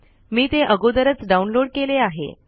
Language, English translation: Marathi, I have already downloaded that